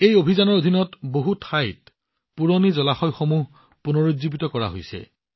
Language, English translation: Assamese, Under this campaign, at many places, old water bodies are also being rejuvenated